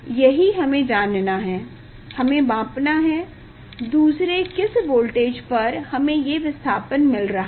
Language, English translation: Hindi, that we have to know, we have to measure; second for what voltage the displacement we are getting